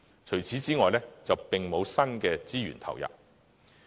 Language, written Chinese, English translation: Cantonese, 除此之外，並沒有新的資源投入。, No new resources are earmarked to the sector apart from these